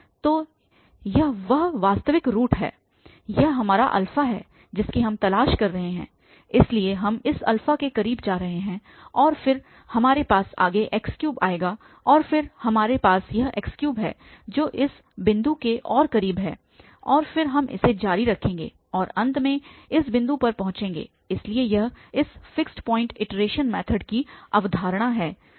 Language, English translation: Hindi, So, this is the actual root we are looking for this is our alpha, so we are going close to this alpha and then we have further the x3 will come and then we have this x3 here which is further closer to this point and then we will continue this and will approach finally to this point, so this is the idea of this fixed point iteration method